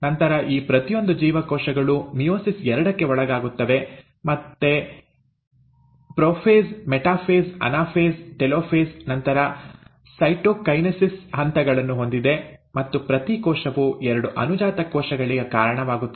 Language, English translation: Kannada, Then, each of these cells will then further undergo meiosis too, which again has its stages of prophase, metaphase, anaphase, telophase, followed by cytokinesis, and an each cell in turn give rise to two daughter cells